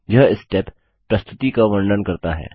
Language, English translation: Hindi, This step describes the presentation